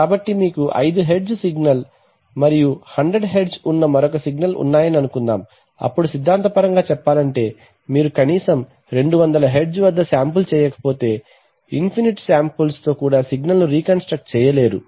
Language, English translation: Telugu, So suppose you have a signal which is five Hertz and another signal which is 100 Hertz then theoretically speaking you cannot reconstruct the signal even with an infinite number of samples unless you sample it at least at 200 Hertz, right